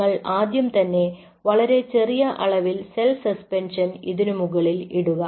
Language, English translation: Malayalam, you put your first a small amount of cell suspension, very small amount